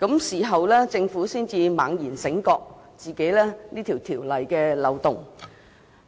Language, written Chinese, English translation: Cantonese, 事後政府才猛然醒覺條例存在漏洞。, Only then did the Government suddenly realize that there are loopholes in the relevant ordinance